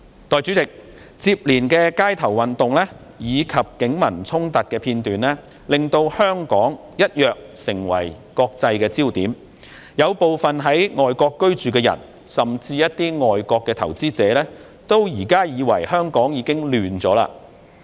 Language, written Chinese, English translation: Cantonese, 代理主席，接連的街頭運動及警民衝突的片段，令香港一躍成為國際的焦點，有部分在外國居住的人，甚至一些外國投資者認為現時香港已亂起來。, Deputy President scenes of continuous street protests and confrontations between the Police and the people have turned Hong Kong into a focus of international attention . Some people living abroad and even foreign investors hold that Hong Kong is now in chaos